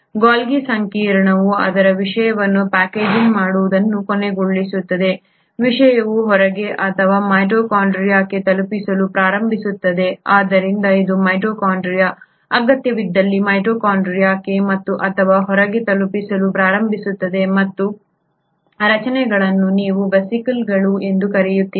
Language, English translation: Kannada, The Golgi complex then ends up packaging its content the content starts getting delivered either outside or to the mitochondria, so this is the mitochondria; starts getting delivered to the mitochondria and or to the outside if the need be and these structures is what you call as the vesicles